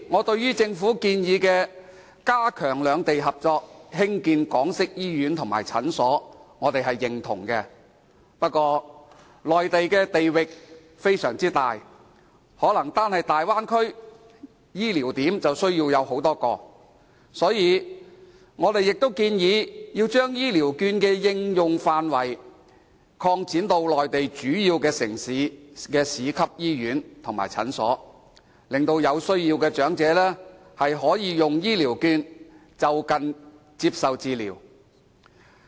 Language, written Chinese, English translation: Cantonese, 對此，政府提出加強兩地合作，興建港式醫院和診所的建議，我們表示認同，不過，內地地域廣大，單是大灣區便可能需要多個醫療點，所以，我們也建議把醫療券的應用範圍擴展至內地主要城市的市級醫院及診所，令有需要的長者可以用醫療券，就近接受治療。, We are supportive of the proposal . Nevertheless given the vast territory of the Mainland the Bay Area alone may require multiple medical service points . Therefore we also propose that the scope of application of the Health Care Vouchers be extended to cover major municipal hospitals and clinics in major Mainland cities